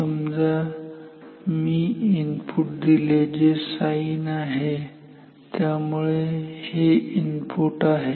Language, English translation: Marathi, So, if I give an input which is sinusoidal; so, this is input